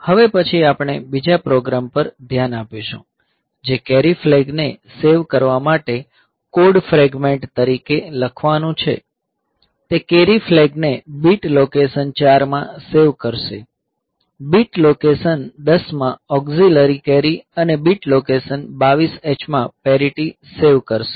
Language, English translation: Gujarati, Next we will look into another program which is to write a code fragment to save the carry flag; it will save the carry flag in bit location 4, auxiliary carry in bit location 10 and parity in bit location 22 H